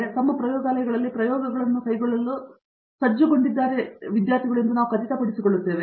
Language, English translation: Kannada, So, we make sure that, they are well equipped to carry out experiments in their own labs